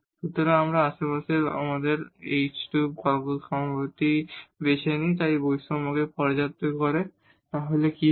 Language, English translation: Bengali, So, if we choose our h and k point in the neighborhood which satisfies this inequality, what will happen